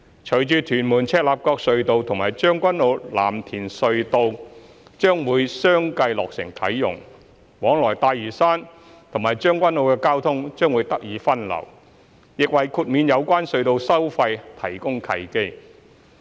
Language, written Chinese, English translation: Cantonese, 隨着屯門―赤鱲角隧道及將軍澳―藍田隧道將會相繼落成啟用，往來大嶼山和將軍澳的交通將會得以分流，亦為豁免有關隧道收費提供契機。, The successive commissioning of the Tuen Mun - Chek Lap Kok Tunnel TM - CLKT and the Tseung Kwan O - Lam Tin Tunnel TKO - LTT will enable the diversion of traffic between Lantau Island and Tseung Kwan O thus providing an opportunity to waive the relevant tunnel tolls